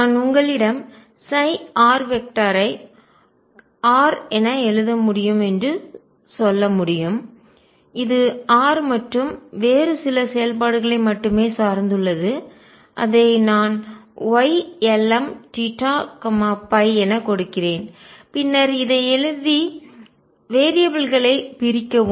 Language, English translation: Tamil, I could tell you that psi r vector can be written as R which depends only on r and some other function which I have given as Y lm theta and phi and then write this and do separation of variables